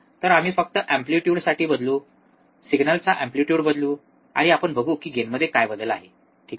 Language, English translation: Marathi, So, we will just change the amplitude, change the amplitude of the signal, and we will see what is the change in the gain, alright